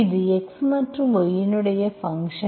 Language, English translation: Tamil, This is only a function of v and x